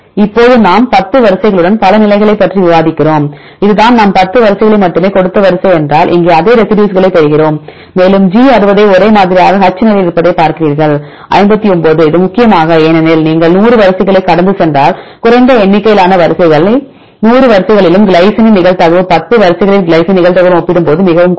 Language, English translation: Tamil, Now we discuss with 10 sequences many positions here we get the same residues here if this is the sequence I gave only 10 sequences and if you see G is same at 60 and same at this position right and you see H is same in the position of 59 its mainly because less number of sequences if you go through 100 sequences the probability of glycine in all the 100 sequences is very less compared to the probability of glycine in the 10 sequences, right